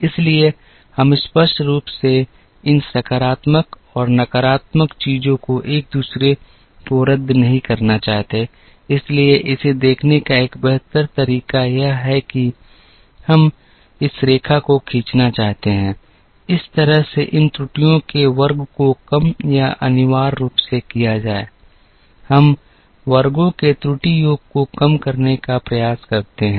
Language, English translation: Hindi, So, we obviously, do not want these positives and negatives to cancel out each other, therefore a better way to look at it is to say that, we want to draw this line, in such a manner that the squares of these errors are minimized or essentially, we try to minimize the what is called the error sum of squares